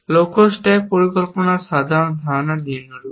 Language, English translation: Bengali, The general idea of goal stack planning is the following